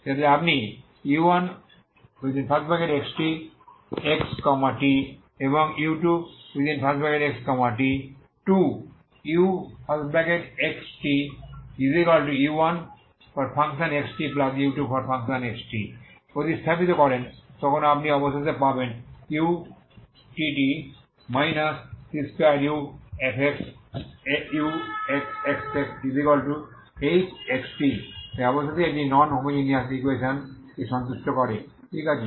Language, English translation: Bengali, So that when you substitute u1( x ,t ) and u2( x ,t ) to u( x ,t)=u1( x ,t )+u2( x ,t ) you will finally get utt−c2uxx=h( x ,t ) so finally this satisfies non homogeneous equation, okay